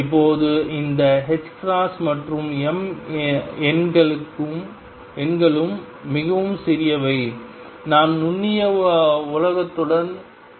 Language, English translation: Tamil, Now these numbers h cross and m are very small we are dealing with microscopic world